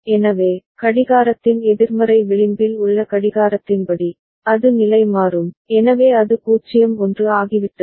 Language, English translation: Tamil, So, according to the clock at the negative edge of the clock, it will toggle, so it has become 0 1